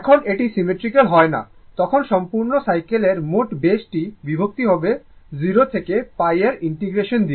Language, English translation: Bengali, When it is not symmetrical, you have to consider the complete cycle total base divided by whatever integration will be there 0 to pi